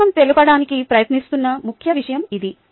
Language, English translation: Telugu, ok, thats the point that the book is trying to make